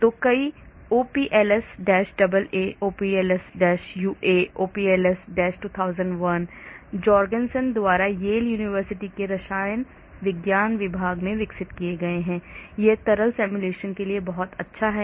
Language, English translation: Hindi, so there are many OPLS AA, OPLS UA, OPLS 2001 developed by Jorgensen at the Yale University Department of Chemistry, it is very good for liquid simulation